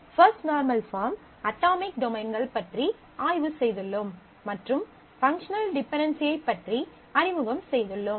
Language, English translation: Tamil, We have studied about first normal form, atomic domains and got introduced to functional dependencies